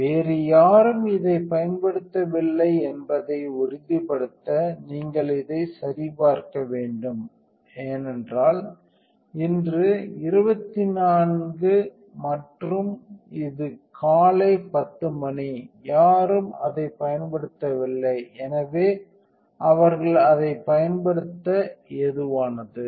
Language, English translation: Tamil, Also if you should check this to make sure nobody else is using it, So today is a 24 and it is 10 AM and nobody using it, so they are free to use it